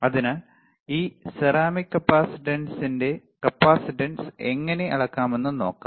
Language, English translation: Malayalam, So, let us see how we can measure the capacitance of this ceramic capacitor